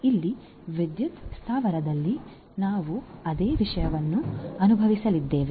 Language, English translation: Kannada, So, here also in the power plant we are going to experience the same thing